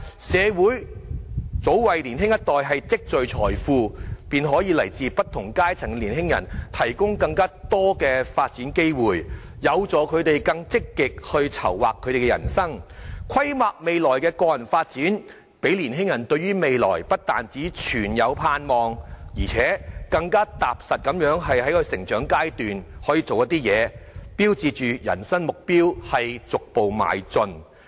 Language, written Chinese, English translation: Cantonese, 社會及早為年青一代積聚財富，使來自不同階層的年青人有更多發展機會，有助他們更積極籌劃人生，規劃未來的個人發展，使年青人對於未來不但存有盼望，且能更踏實地在成長階段中朝着人生目標逐步邁進。, Early accumulation of wealth for the younger generation by the community and provision of more development opportunities for young people from different strata will motivate them to be more active in planning their life and drawing up personal development plans for the future so that young people will not only hold hope for the future but also make headway toward their life goals step by step in a more pragmatic manner during their upbringing